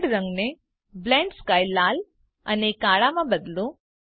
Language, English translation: Gujarati, Change world colour to Blend sky Red and black